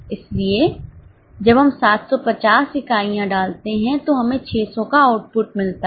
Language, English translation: Hindi, So, when we put in 750 units, we get output of 600